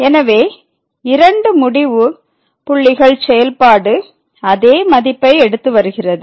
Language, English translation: Tamil, So, the two end points the function is taking same value